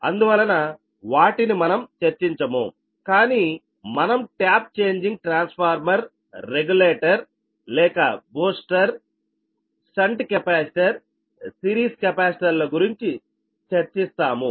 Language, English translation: Telugu, but we will discuss on tap changing transformer regulators or boosters, shunt capacitors and series capacitors